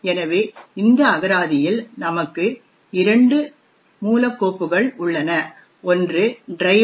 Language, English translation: Tamil, So, in this particular directory we would actually have two source files, one is known as the driver